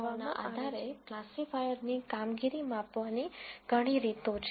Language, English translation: Gujarati, Now, based on those four numbers, there are many ways of measuring the performance of a classifier